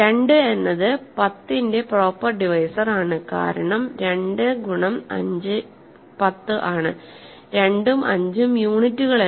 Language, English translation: Malayalam, 2 is a proper divisor of 10 because 2 times 5 is 10 and 2 and 5 are not units